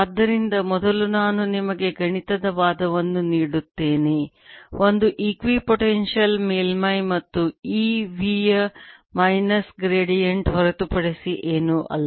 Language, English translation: Kannada, so first i will give you mathematical argument: is an equipotential surfaces and e is nothing but minus variant of b, sine